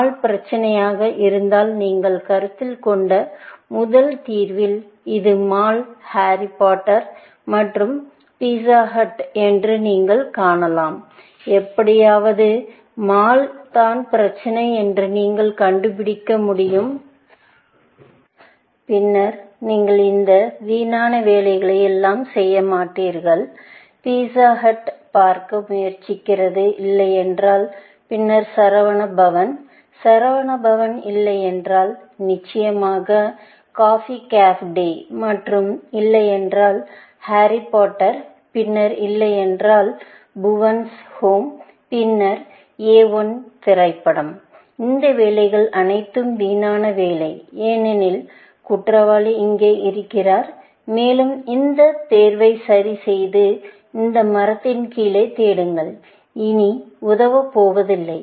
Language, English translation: Tamil, If mall was the problem, then you can see that if in the first solution that you considered, which is mall, Harry Potter and Pizza hut; if somehow, you could figure out that mall is the problem, then you would not do all these wasteful work, here; trying to see if not pizza hut; then, Saravanaa Bhavan, if not Saravanaa Bhavan, of course, then, Cafe Coffee Day; and if not Harry Potter; then, Bhuvan’s Home, if not Bhuvan’s Home; then, A I, the movie; all these work is wasted work, essentially, and the reason is, because the culprit is here, and keeping that choice fixed, and search it below the tree, is not going to help, any longer